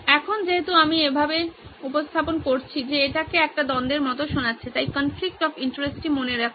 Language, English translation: Bengali, Now that I have presented in this way it started to sound like a conflict, right so remember the conflict of interest